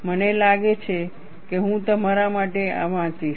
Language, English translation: Gujarati, I think, I would read this for you